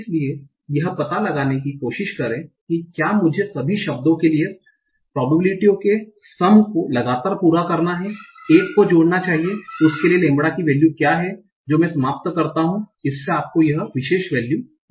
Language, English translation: Hindi, So try to find out if I have to satisfy the constraint that the summation of probabilities for all the words should add up to 1, what is the value of lambda that I end up with